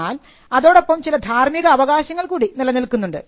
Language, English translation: Malayalam, There are also certain moral rights that vest in a copyright